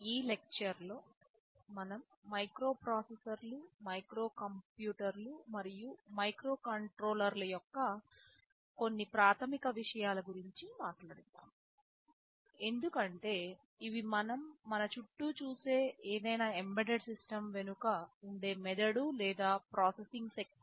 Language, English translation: Telugu, In this lecture we shall be talking about some basic concepts of microprocessors, microcomputers and microcontrollers, because these are the brain or the processing power behind any embedded system that we see around us